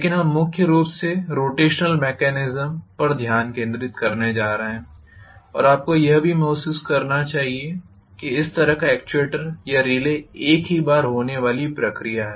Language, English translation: Hindi, But what we are going to concentrate mainly is on rotational mechanism and you should also realize that this kind of actuator or relay is a onetime process